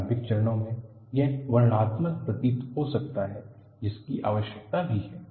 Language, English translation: Hindi, In the initial phases it may appear to be descriptive, which is also needed